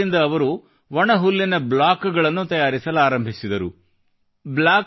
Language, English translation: Kannada, With this machine, he began to make bundles of stubble